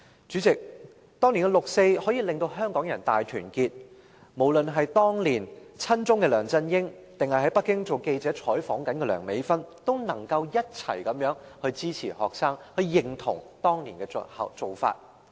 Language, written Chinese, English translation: Cantonese, 主席，當年六四可以令香港人大團結，無論是當年親中的梁振英，或在北京當記者做採訪的梁美芬議員，也能夠一起支持學生，認同當年的做法。, President the 4 June incident brought about a strong sense of unity among the people of Hong Kong that both LEUNG Chun - ying who was pro - China back then and Dr Priscilla LEUNG who covered the news in Beijing as a reporter stated their support for the students and approved of the students actions at that time